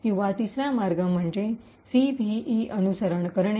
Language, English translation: Marathi, Or, the third way is by following the CVE